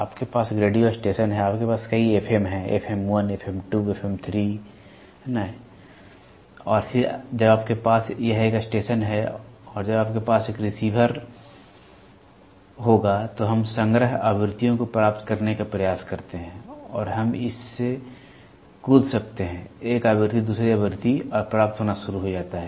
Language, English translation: Hindi, You have a radio station, radio station you have multiple FM’s, right, FM 1, FM 2, FM 3, right and then when you have a this is a station and when you have a receiver, we try to receive set frequencies and we can jump from one frequency to the another frequency and start getting